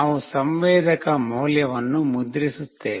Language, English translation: Kannada, We will be printing the sensor value